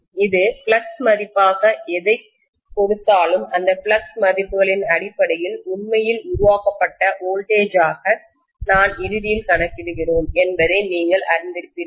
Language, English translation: Tamil, Whatever it would give as the flux value will almost be you know in line with what actually we are calculating finally as the generated voltage and so on based on those flux values